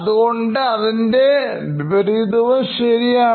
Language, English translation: Malayalam, So the opposite is also true